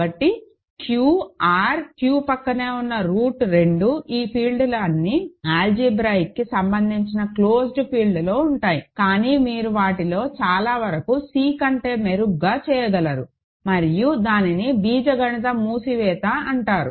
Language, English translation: Telugu, So, Q, R, Q adjoined root 2 all these fields, are contained in an algebraically closed field, but you can do better than C for many of them and that is called algebraic closure